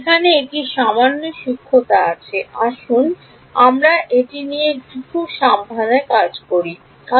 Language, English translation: Bengali, There is a slight subtlety over here let us write this a little bit carefully